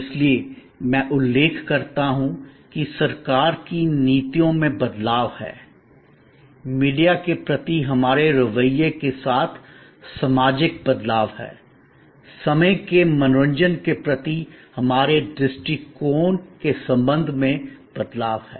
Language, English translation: Hindi, So, I mention that there are changes in government policies, there are social changes with respect to our attitude towards media, with respect to our attitude towards time entertainment